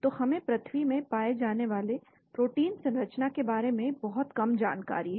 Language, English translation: Hindi, So we have very little knowledge about the sequence of proteins found in the earth